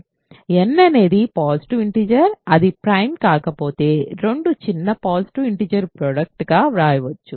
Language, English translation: Telugu, So, n is a positive integer it can be written as a product of two smaller positive integers if it is not prime